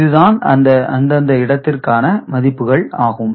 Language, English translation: Tamil, And these are the corresponding weights for the place value